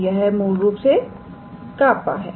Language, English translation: Hindi, So, this is basically kappa